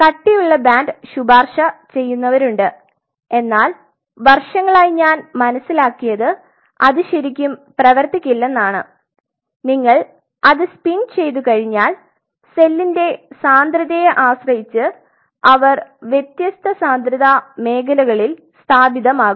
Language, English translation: Malayalam, There are people who recommends thicker band, but over the years I have realized that that really does not work and you spin it once you spin it what will happen depending on the density of the cell they will settle down at different density zones